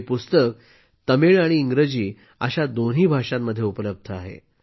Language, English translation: Marathi, This is in both Tamil and English languages